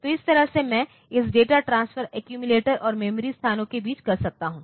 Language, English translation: Hindi, So, this way I can have this data transferred between accumulator and memory locations